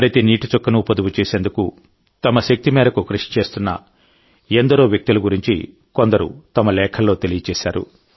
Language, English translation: Telugu, This time too I have come to know through letters about many people who are trying their very best to save every drop of water